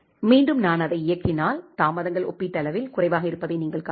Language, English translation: Tamil, Again if I run it, you can see that the delays is comparatively lesser